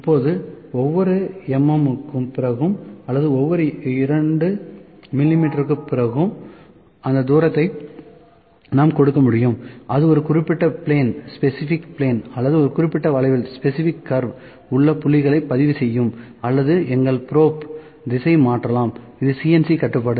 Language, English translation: Tamil, Now, after each mm or after each 2 mm, we can just give that distance it, it will just recording the points on a specific plane or specific curve or we can then change the direction of our probe those things can happen, this is CNC control